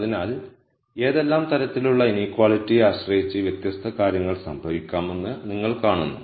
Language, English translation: Malayalam, So, you see that depending on what type of inequality these different things can happen